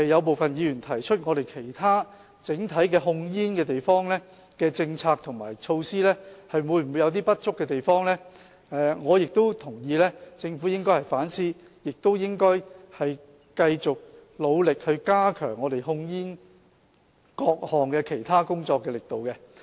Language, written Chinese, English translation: Cantonese, 部分議員提出其他整體控煙政策和措施會否有不足的地方，我亦認同政府應該反思，也應繼續努力加強各項其他控煙工作的力度。, Some Members questioned whether there are other inadequacies of the overall approach and measures on tobacco control . I also agree that the Government should reflect on itself and continue to step up its effort in other aspects of tobacco control